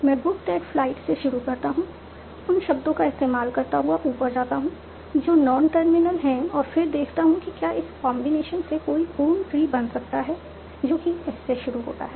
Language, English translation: Hindi, I start from book that flight, go upwards, what are the non terminals, and then see if any of this combination can lead to a full tree starting from S